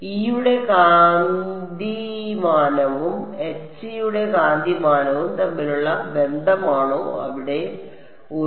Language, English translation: Malayalam, Is a relation between the magnitude of E and the magnitude of H right there is a eta